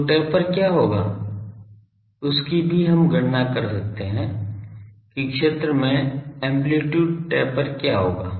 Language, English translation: Hindi, So, what will be the taper that also we can calculate that what will be the amplitude taper in the field